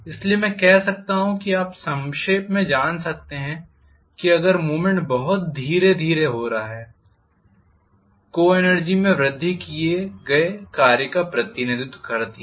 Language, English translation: Hindi, So I can say you know in a nutshell, if the movement is taking place very slowly the increase in the co energy represents the work done